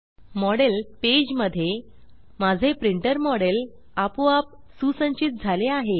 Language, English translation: Marathi, In the Model page, my printer model is automatically detected